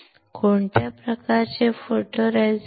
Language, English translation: Marathi, What kind of photoresist